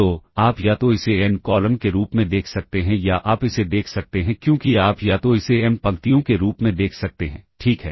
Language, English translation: Hindi, So, you can either look at it as n columns or you can either look at it as you can either look at it as m rows, ok